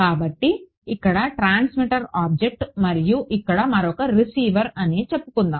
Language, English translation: Telugu, So, one transmitter object over here and let us say another receiver over here right